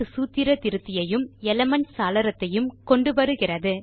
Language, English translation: Tamil, This brings up the Math Formula Editor and the Elements window